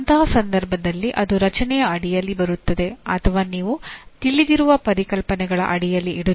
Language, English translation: Kannada, In that case it will come under create or you are putting under the existing known concepts